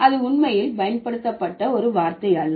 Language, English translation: Tamil, That was not really a word which was used before